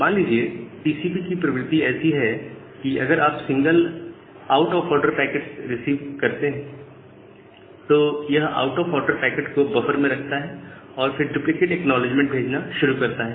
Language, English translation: Hindi, Say the nature of the TCP is that if it receives a single out of order packet, then it put that out of order packet in the buffer and start sending duplicate acknowledgements